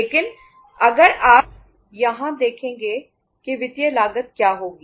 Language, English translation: Hindi, But if you see here what will be the financial cost